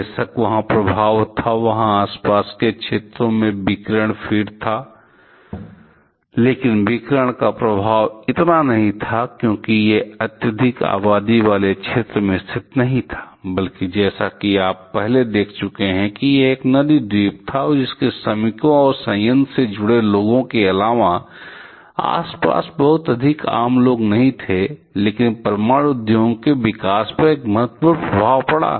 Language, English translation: Hindi, Of course, there was effect there was radiations feed to the surrounding areas but the effect was effect of radiation was not that much because it was not situated in a highly populated area; rather as you have seen a earlier it was a river island and so apart from the workers or people associated with the plant, there are not too many common people around, but there was a significant effect on the growth of the nuclear industry